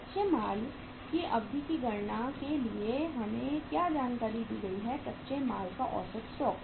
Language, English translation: Hindi, For calculating the duration of raw material what information is given to us, average stock of raw material